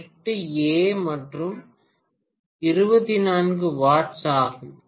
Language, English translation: Tamil, 8 ampere and 24 watts, okay